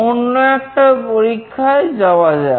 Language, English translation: Bengali, Let us go to another experiment